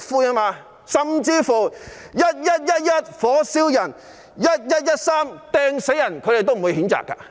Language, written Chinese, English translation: Cantonese, 即使"一一一一，火燒人"、"一一一三，掟死人"，他們也不會譴責。, Despite the spate of incidents including 11 November setting people on fire and 13 November hurling objects to kill people no condemnation has been made